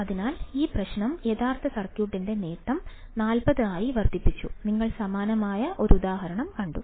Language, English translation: Malayalam, So, this problem is that the gain of the original circuit is increased to be by 40, you have seen a similar example